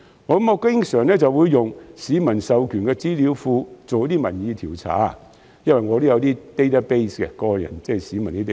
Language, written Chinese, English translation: Cantonese, 我經常利用市民授權的資料庫進行民意調查，因為我有些市民的 database。, I often made use of a mandated database which is a database of members of the public to conduct public opinion surveys